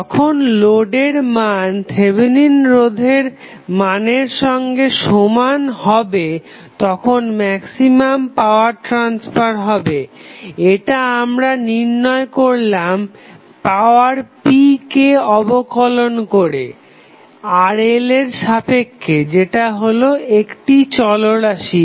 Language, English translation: Bengali, The maximum power transfer takes place when the load resistance is equal to Thevenin resistance this we derived when we took the derivative of power p with respect to Rl which is variable